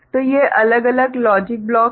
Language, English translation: Hindi, So, these are the different logic blocks